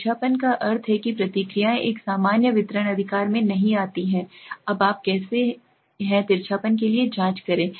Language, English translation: Hindi, Skewness means the responses do not fall into a normal distribution right, now how do you check for skewness let us get into this